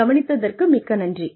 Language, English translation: Tamil, Thank you very much, for listening